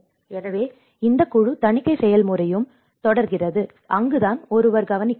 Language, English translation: Tamil, So, this whole audit process goes on, and that is where one has to look at